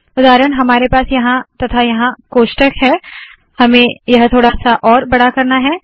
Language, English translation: Hindi, For example, we have a bracket here and a bracket here, I want to make this slightly bigger